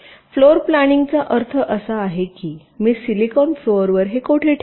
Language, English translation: Marathi, floor planning means approximately where i will place it on the silicon floor